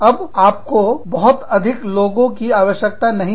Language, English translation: Hindi, Then, you do not need, that many people, anymore